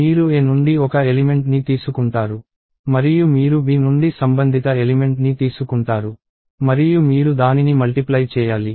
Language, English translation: Telugu, See you take one element from A and you take a corresponding element from B and you multiply that